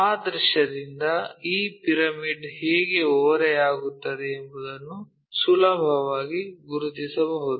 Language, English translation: Kannada, With that visual we can easily recognize how this pyramid is inclined